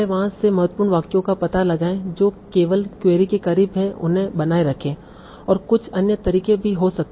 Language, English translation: Hindi, So first find out the important sentences from there written only those that are closer to the query and there can be some other methods also